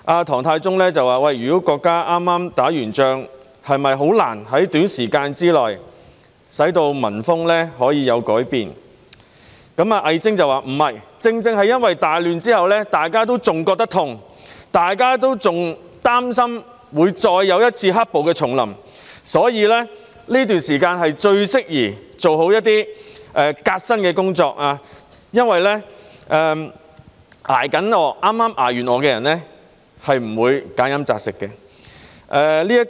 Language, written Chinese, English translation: Cantonese, 唐太宗問，如果國家剛結束戰爭，是否難以在短時間內令民風有所改變，魏徵則說不是。正正因為大亂之後，大家仍感到痛楚，仍擔心會再有一次"黑暴"重臨，所以這段時間最適宜做好革新的工作，因為剛剛捱過餓的人是不會挑吃揀喝的。, Emperor Taizong asked if it would be difficult to bring about change in public mores in a short period of time if the country had just been through a war and WEI Zheng said no explaining that it was the best time for reform because people were still in pain from the great turmoil and worried about the recurrence of black - clad violence given that those who had just endured starvation would not be picky about what to eat or drink